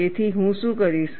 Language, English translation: Gujarati, What we will have to do